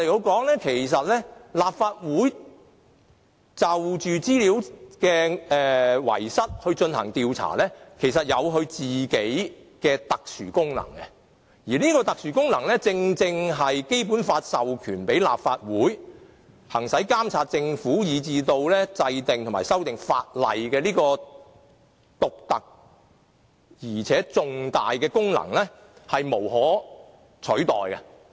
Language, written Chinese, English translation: Cantonese, 換言之，立法會就資料遺失事件進行調查，其實有其特殊功能，而這個特殊功能，正正是《基本法》授權立法會行使監察政府，以至制定和修訂法例這種獨特而且重大的功能，是無可取代的。, In other words an inquiry of Legislative Council into the data loss incident will actually serve a very unique function . And this unique function is precisely a very significant power vested with the Legislative Council under the Basic Law the power to monitor the Government and enact and amend legislation . Such power gives the Legislative Council an irreplaceable function